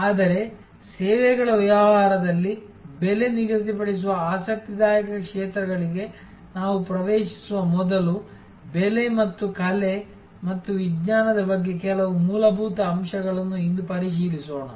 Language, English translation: Kannada, But, before we get into those interesting areas of price setting in services business, let us review today some fundamentals about the art and science of pricing